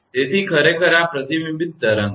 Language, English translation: Gujarati, So, it is actually this is the reflected wave